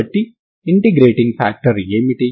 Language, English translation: Telugu, So what is the integrating factor